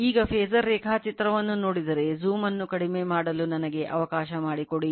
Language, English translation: Kannada, Now,now if you if you look at the phasor diagram let us let me let me reduce the zoom , right